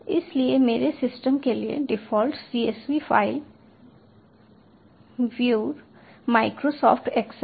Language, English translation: Hindi, so for my system the default csv file viewer is microsoft excel, so its directly opening through excel